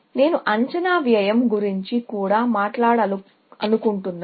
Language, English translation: Telugu, I also want to talk about estimated cost